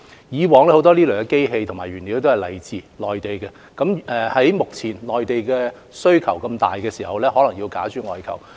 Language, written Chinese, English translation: Cantonese, 以往這些機器及原材料大多來自內地，在目前內地需求殷切的情況下，可能要假諸外求。, In the past such machinery and raw materials mostly came from the Mainland but now we might have to source overseas given the keen demand in the Mainland